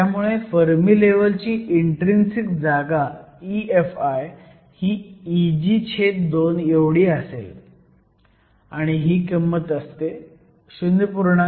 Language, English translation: Marathi, So, the intrinsic position of the Fermi level E Fi will be just E g over 2; we know this to be 0